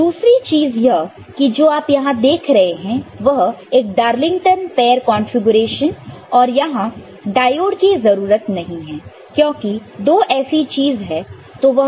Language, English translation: Hindi, And the other thing over here what you see is a Darlington pair configuration over here and you do not need a diode over here, because there are two such things